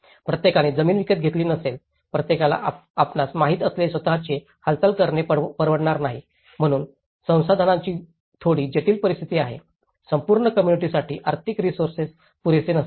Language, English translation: Marathi, Everyone may not have procured the land, everyone may not have able to afford to make their own move you know, so there is a bit complex situation of the resources, the financial resources may not be sufficient, for the whole entire community